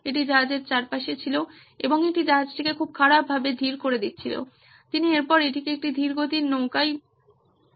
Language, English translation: Bengali, It was all around the ships hull and it was slowing down the ship really badly, that he could just I mean it was a slow tug boat after that